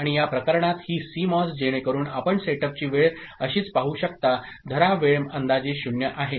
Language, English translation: Marathi, And in this case, this CMOS thing, so you can see the setup time is like this, hold time is approximately 0